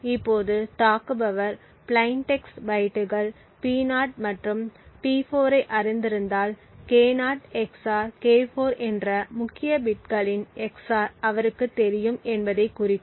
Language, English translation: Tamil, Now if the attacker actually knows the plain text bytes P0 and P4 it would indicate that he knows the XOR of the key bits K0 XOR K4